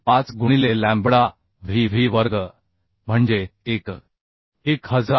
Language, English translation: Marathi, 35 into lambda vv square that is 1